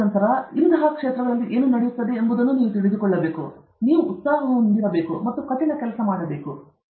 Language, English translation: Kannada, And then, you should know what is going on in other fields, and then, you should have passion, you should have hard work, all these things will follow now okay